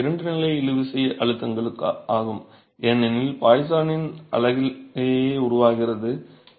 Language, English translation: Tamil, These are secondary tensile stresses because of poison's effect that is developing in the unit itself